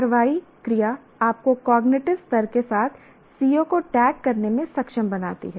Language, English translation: Hindi, The action verb enables you to tag a COO with the cognitive level